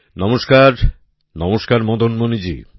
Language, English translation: Bengali, Namaskar… Namaskar Madan Mani ji